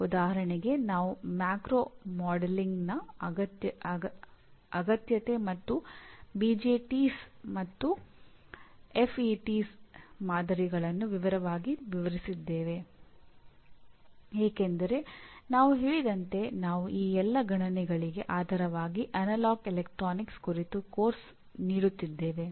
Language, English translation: Kannada, For example we said explain in detail the need for macro modeling and the models of BJTs and FETs because as we said we are giving a course on analog electronics as the basis for all these computations